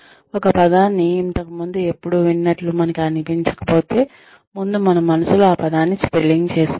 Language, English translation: Telugu, We actually can see if we have never heard a word before, we feel like spelling it out in our minds